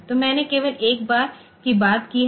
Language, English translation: Hindi, So, these I have talked about only 1 time